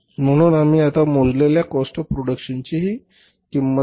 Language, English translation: Marathi, So this is the cost of production we have calculated now